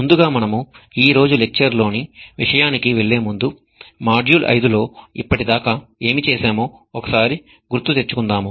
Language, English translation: Telugu, Before we move on to the contents of today's lecture, let us just recap what we have done so far in module 5